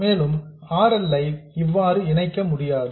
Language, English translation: Tamil, And RL, it cannot be connected like this